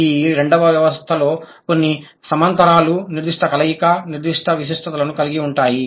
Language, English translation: Telugu, But both the systems, they have certain parallels, certain overlaps, also certain distinctness